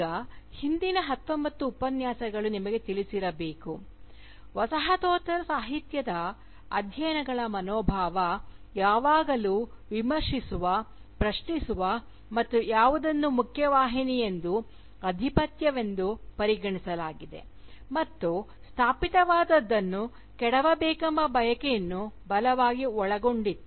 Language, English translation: Kannada, Now, as the past nineteen lectures must have conveyed to you, the spirit of postcolonial studies has always been strongly informed by the desire to critique question and to dismantle whatever is established, whatever is regarded as the mainstream, whatever is regarded as the hegemonic